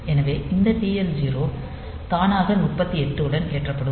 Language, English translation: Tamil, So, this TL 0 will be automatically loaded with 38 h